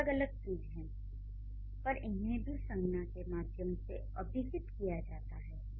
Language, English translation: Hindi, These are the different things that the nouns refer to